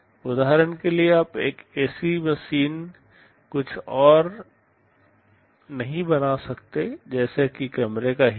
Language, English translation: Hindi, You cannot change an ac machine to something else like a room heater for example